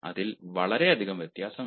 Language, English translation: Malayalam, there s a lot of difference, isnt it